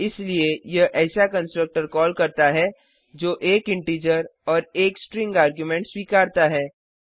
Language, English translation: Hindi, Hence it calls the constructor that accepts 1 integer and 1 String argument